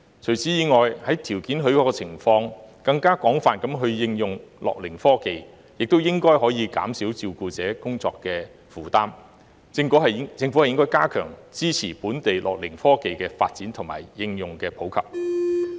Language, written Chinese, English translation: Cantonese, 除此以外，在條件許可的情況下，更廣泛地應用樂齡科技亦應該可減少照顧者工作負擔，政府應該加強支持本地樂齡科技的發展和應用普及。, Apart from the above as wider use of gerontechnology where circumstances permit should be able to reduce the workload of carers the Government should strengthen its support for the local development and popularization of gerontechnology